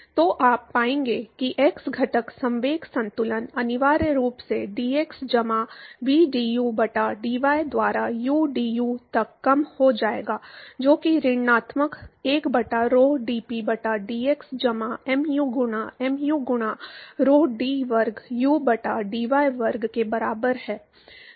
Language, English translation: Hindi, So, you will find that the x component momentum balance will essentially reduce to udu by dx plus vdu by dy that is equal to minus 1 by rho dP by dx plus mu into mu by rho d square u by dy square